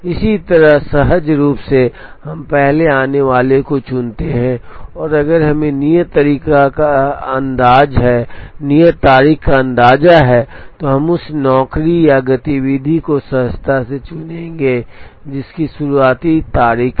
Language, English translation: Hindi, Similarly, intuitively we choose the one that came in first, and if we have an idea of the due date we would intuitively choose the job or activity that has the earliest due date